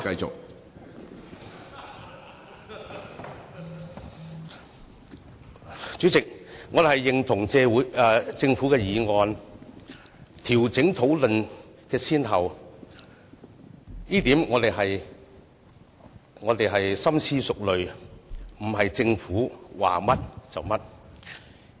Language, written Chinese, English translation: Cantonese, 主席，我們認同政府的議案，調整討論項目的先後，我們經深思熟慮而作出決定，不是政府說甚麼，我們便做甚麼。, Chairman we support the Governments motion to rearrange the order of agenda items . We have made such a decision after thorough consideration . We are not blindly doing whatever the Government advises us to do